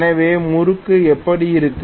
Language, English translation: Tamil, So this is how the torque is going to be